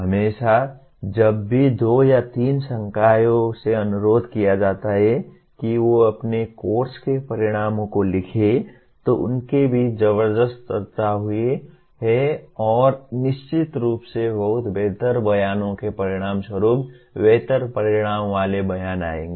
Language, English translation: Hindi, Always whenever the two or three faculty are requested to write the outcomes of their course, there has been a tremendous amount of discussion among them and certainly as a result of that a much better statements, much better outcome statements will result